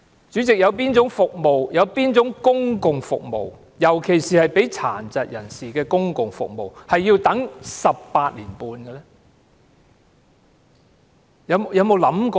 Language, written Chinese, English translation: Cantonese, 主席，有哪種公共服務，尤其是為殘疾人士提供的公共服務要輪候18年半呢？, Chairman which of the public services especially the public services for persons with disabilities require a waiting time of 18 years and six months?